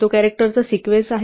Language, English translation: Marathi, It is a sequence of characters